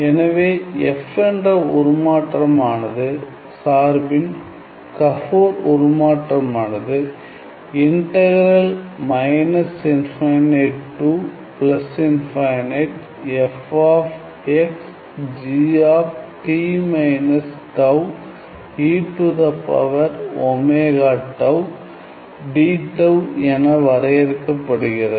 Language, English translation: Tamil, So, Gabor transform of a function f is to be defined as integral from minus infinity to infinity f of tau g t minus tau e to the power omega tau d tau